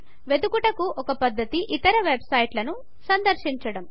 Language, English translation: Telugu, One way is to search by visiting other websites